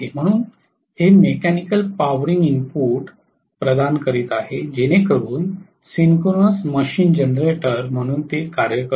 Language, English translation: Marathi, So it is providing the mechanical powering input so that the synchronous machine works as a generator right